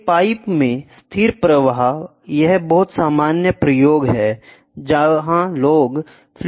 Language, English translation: Hindi, Steady flow in a pipe, this is the very common experiments where fluid mechanics people do